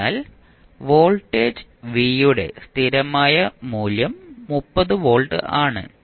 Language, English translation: Malayalam, So, you got v at steady state value of voltage v is 30 volts